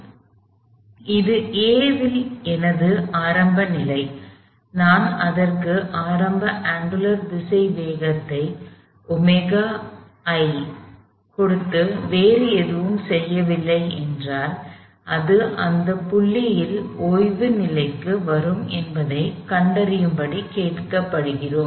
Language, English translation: Tamil, So, this is my initial condition at A, if I give it an initial angular velocity omega i and do nothing else, we are asked to find the point at which it would come to rest